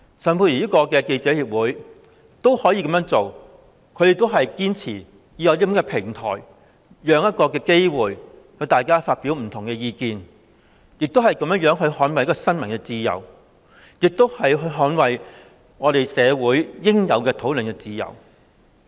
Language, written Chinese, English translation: Cantonese, 外國記者會仍然堅持提供這種平台及機會讓大家發表不同意見，以捍衞新聞自由及社會應有的討論自由。, FCC still insists on providing this kind of platform and opportunity for people to express different views so as to safeguard freedom of the press and freedom of discussion which are essential in society